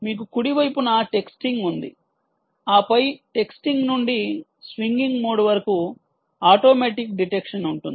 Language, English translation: Telugu, you have texting on the right side and then automatic detection from texting to swinging mode